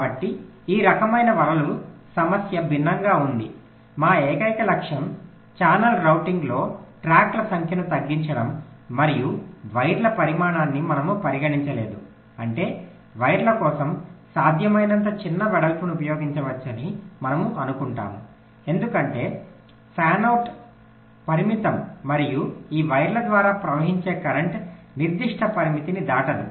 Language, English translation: Telugu, our sole objective was to minimize the number of tracks, for example in channel routing, and we did not consider the sizing of the wires, which means we assume that we can use this smallest possible width for the wires because fan out is limited and the current flowing through these wires will not cross certain limit